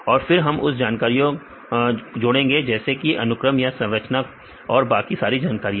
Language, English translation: Hindi, Then we can give more additional information regarding a sequence and structure and all other things